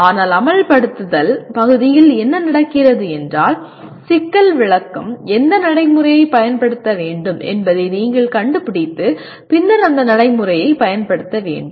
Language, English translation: Tamil, But in the execute part, what happens the problem description is that you should also find out which procedure to apply and then apply the procedure